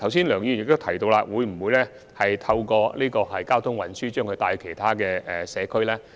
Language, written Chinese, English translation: Cantonese, 梁議員剛才問到，政府會否利用交通運輸把旅客帶到其他社區。, Mr LEUNG just now asked whether the Government would arrange transport to take visitors to other communities